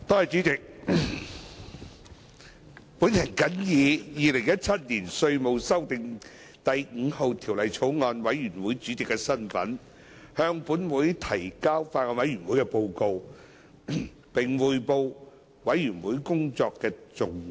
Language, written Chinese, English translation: Cantonese, 主席，我謹以《2017年稅務條例草案》委員會主席的身份，向本會提交法案委員會的報告，並匯報法案委員會工作的重點。, President in my capacity as Chairman of the Bills Committee on the Inland Revenue Amendment No . 5 Bill 2017 I would like to present the report of the Bills Committee to the Council and report on the key areas of work of the Bills Committee . The Inland Revenue Amendment No